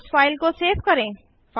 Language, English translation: Hindi, Let us save the file now